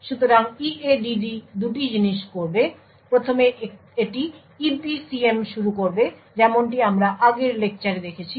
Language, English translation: Bengali, So EADD will do 2 things first it will initialize the EPCM as we have seen in the previous lecture